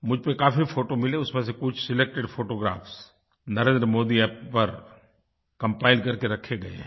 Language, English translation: Hindi, I received a lot of photographs out of which, selected photographs are compiled and uploaded on the NarendraModiApp